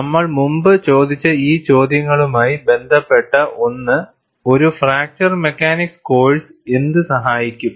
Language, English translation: Malayalam, Something related to these questions we have asked earlier, what a fracture mechanics course should help